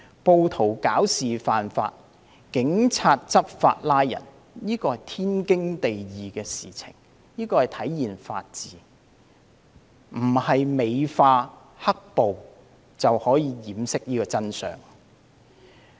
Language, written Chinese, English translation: Cantonese, 暴徒惹事犯法，警員執法作出拘捕，這是天經地義的事，是體現法治，美化"黑暴"並不能掩飾真相。, It is a matter of justice and a manifestation of the rule of law for police officers to enforce and law and arrest rioters who broke the law . Glorifying black - clad rioters cannot conceal the truth